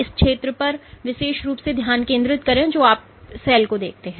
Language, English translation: Hindi, What is particularly focus on this this zone you see the cell